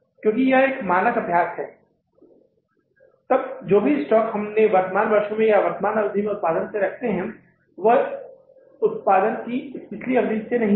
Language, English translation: Hindi, Because it is a standard practice, then whatever the closing stock you keep, you keep from the current years or current periods production, not from the previous period production